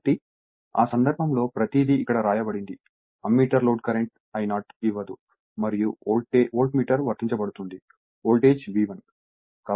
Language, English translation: Telugu, So, in that case everything is written here Ammeter will give no load current I 0 and your Voltmeter will be your applied voltage is V 1